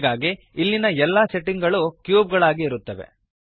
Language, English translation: Kannada, So all the settings here are for the cube